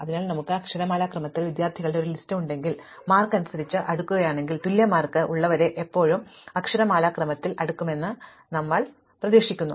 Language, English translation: Malayalam, So, if we have a list of students in alphabetical order and then we sort by marks, we expect that those with equal marks are still sorted in alphabetical order